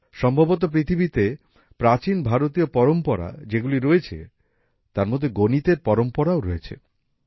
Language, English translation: Bengali, Perhaps, among the ancient traditions in the world India has a tradition of mathematics